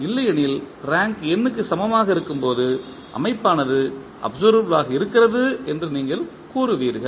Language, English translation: Tamil, Otherwise when the rank is equal to n you will say the system is observable